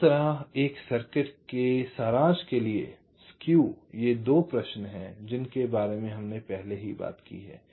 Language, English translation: Hindi, so to summaries for a circuit like this skew, these are the two question already we have talked about